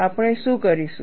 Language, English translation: Gujarati, So, what we have done